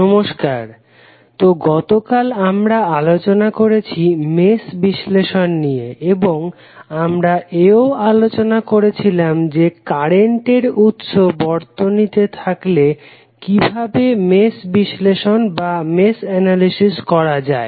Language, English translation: Bengali, So, yesterday we discussed about mesh analysis and we also discussed that how the mesh analysis would be done if current sources available